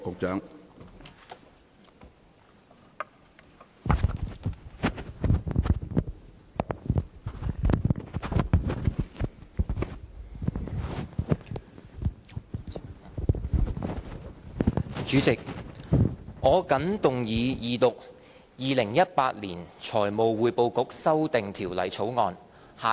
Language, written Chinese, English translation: Cantonese, 主席，我謹動議二讀《2018年財務匯報局條例草案》。, President I move the Second Reading of the Financial Reporting Council Amendment Bill 2018 the Bill